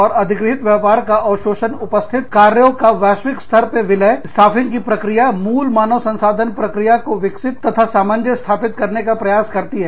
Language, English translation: Hindi, And, absorption of acquired businesses, merging of existing operations on a global scale, staffing attempts to develop and harmonize core HR processes